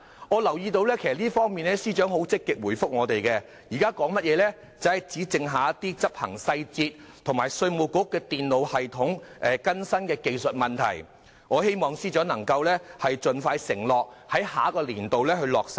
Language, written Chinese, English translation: Cantonese, 我留意到司長在這方面積極回應我們，表示只剩下一些執行細節及稅務局電腦系統更新的技術問題，我希望司長盡快承諾在下一個年度落實計劃。, I note that the Financial Secretary has proactively responded to us and indicated that only some implementation details and technical problems related to the updating of the computer system of the Inland Revenue Department remain to be dealt with . I hope the Financial Secretary can undertake to implement the plan expeditiously in the next fiscal year